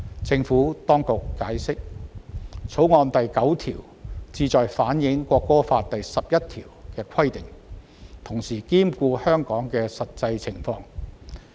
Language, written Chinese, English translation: Cantonese, 政府當局解釋，《條例草案》第9條旨在反映《國歌法》第十一條的規定，同時兼顧香港的實際情況。, The Administration has explained that clause 9 of the Bill seeks to reflect the requirement in Article 11 of the National Anthem Law while taking into account the actual circumstances in Hong Kong